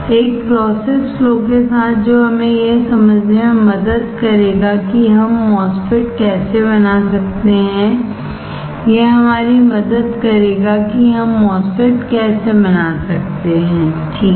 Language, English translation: Hindi, With a process flow that will help us to understand how can we fabricate MOSFET; that will help us how can we fabricate MOSFET, alright